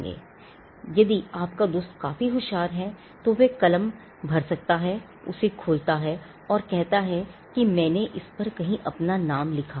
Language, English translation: Hindi, Now, if your friend is smart enough, he could just fill up, his pen just opens it up and say you know I had written my name somewhere discreetly